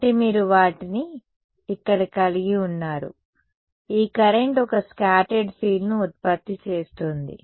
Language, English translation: Telugu, So, you have both of them over here, this current in turn is going to produce a scattered field